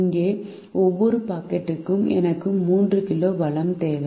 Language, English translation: Tamil, here, for every packet i need three kg of the resource